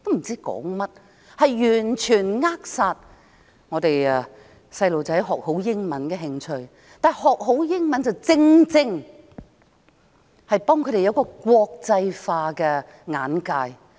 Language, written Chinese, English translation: Cantonese, 這完全扼殺掉小孩子學好英語的興趣，但學好英文，正正能夠幫助他們培養國際化的眼界。, This is the best way to turn the children off when learning English . But learning English well is the exact way to help them widen their horizons . If you travel the world and go to say Holland no one there will ask you if you know Dutch